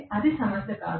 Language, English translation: Telugu, That is not a problem